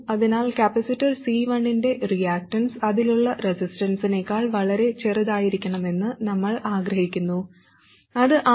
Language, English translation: Malayalam, So we want the reactants of the capacitor C1 to be much smaller than the resistance across it, which is RS plus R1 parallel R2